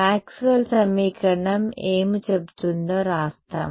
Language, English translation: Telugu, No let us just write down what Maxwell’s equation say Maxwell’s equation say